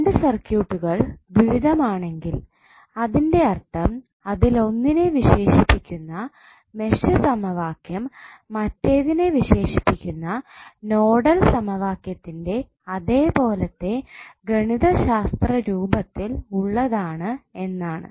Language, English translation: Malayalam, So when two circuits are dual that means the mesh equation that characterize one of them have the same mathematical form as the nodal equation characterize the other one, what does that mean